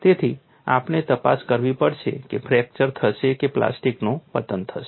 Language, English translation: Gujarati, So, we will have to investigate whether fracture would occur or plastic collapse would occur